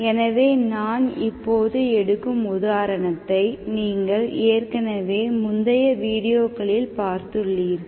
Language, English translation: Tamil, So the example which I am going to do now, which you have already taken, we have earlier, in earlier videos